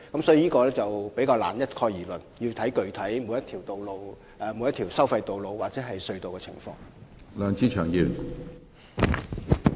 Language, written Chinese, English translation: Cantonese, 所以，我們難以一概而論，而要視乎每條收費道路或隧道的具體情況。, Hence we can hardly generalize for the specific circumstances of each and every tolled road or tunnel have to be taken into account